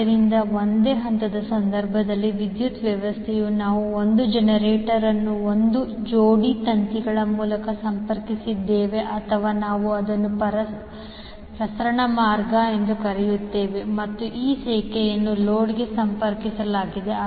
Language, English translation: Kannada, So, in case of single phase the power system we consist of 1 generator connected through a pair of wires or we call it as transmission line and this line is connected to load